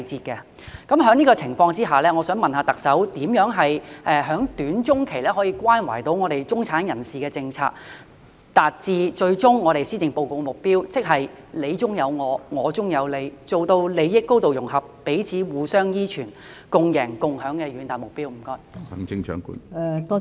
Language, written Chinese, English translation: Cantonese, 在這種情況下，我想問特首怎樣在短、中期可以關懷到中產人士的政策，達致施政報告的最終目標——即"你中有我、我中有你"，做到利益高度融合，彼此互相依存、共贏共享的遠大目標？, Under such circumstances may I ask the Chief Executive how she will use policies which care for the middle class in the short to medium term to achieve the ultimate goal of the Policy Address that is You are me I am you; and the visionary objectives of achieving a high degree of integration of interests mutual interdependence and a win - win situation?